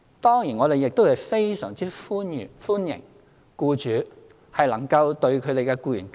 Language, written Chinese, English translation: Cantonese, 當然，我們亦非常歡迎僱主能夠對其僱員更好。, Of course it is very welcome that employers can treat their employees better